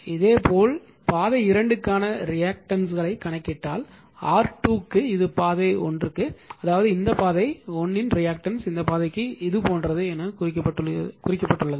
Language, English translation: Tamil, Similarly, for R 2 if you calculate reactance for path 2, this is for path 1; that means, this path right that reactance of this path 1 is for this path it is marked as like this